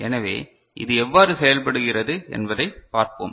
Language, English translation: Tamil, So, let us see how it works